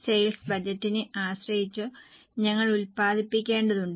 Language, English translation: Malayalam, Depending on the sale budget, we need to manufacture